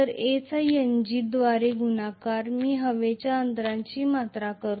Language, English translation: Marathi, A Multiplied by N g, I should be able to write volume of the air gap, right